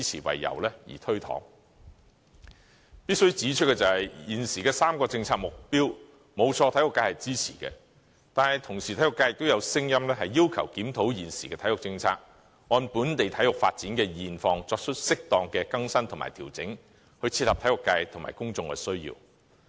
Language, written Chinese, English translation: Cantonese, 必須指出的是，沒錯，現時3個政策目標均獲體育界支持，但體育界同時亦有聲音，要求檢討現時的體育政策，按本地體育發展的現況，作出適當的更新及調整，以切合體育界及公眾的需要。, Admittedly these three policy objectives have garnered support from the sports sector . There are however alternative voices from the sector asking for a review of the current sports policy in the light of the status of development in local sports so as to bring the policy up to date make appropriate adjustment to it and thereby addressing the needs of the sports sector as well as the general public